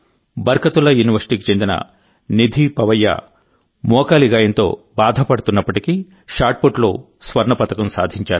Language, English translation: Telugu, Nidhi Pawaiya of Barkatullah University managed to win a Gold Medal in Shotput despite a serious knee injury